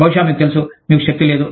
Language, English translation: Telugu, Maybe, you know, you have no power